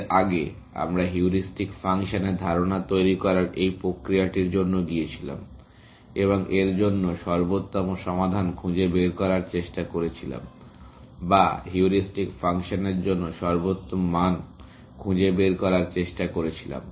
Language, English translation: Bengali, Earlier, we went for this process of devising the idea of a heuristic function, and trying to find optimal solutions for that, or trying to find optimum values for the heuristic function